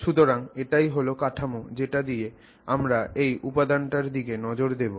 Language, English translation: Bengali, So, that is the general framework with which we will look at this element